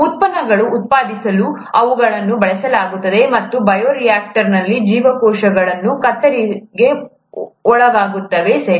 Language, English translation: Kannada, They are used to produce products, and in the bioreactor, the cells are subjected to shear, okay